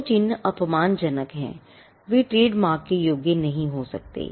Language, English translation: Hindi, Marks that are disparaging cannot qualify as a trademark